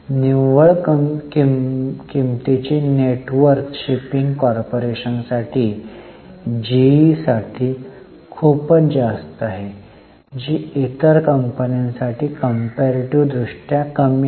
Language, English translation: Marathi, In net worth, net worth is very high for shipping corporation, pretty high for GE, for other companies is comparatively less